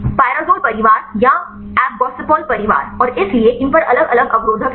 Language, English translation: Hindi, Pyrazole family or appgossypol family and so, on these are the different different inhibitors